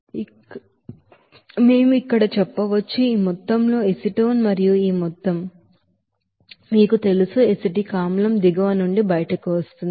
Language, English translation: Telugu, So we can say here, this amount of acetone and this amount of, you know acetic acid will be coming out from the bottom